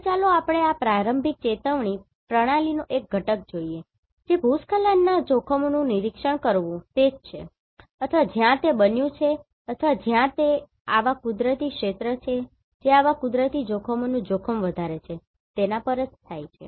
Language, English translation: Gujarati, Now, let us see one component of this early warning system that is the landslide hazard monitoring right or where it has been occurred or where it is likely to occur right on what are the areas which are more prone to such natural hazards